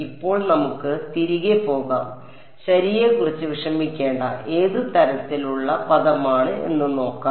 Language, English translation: Malayalam, Now, let us go back and see what is the kind of term that we have to worry about right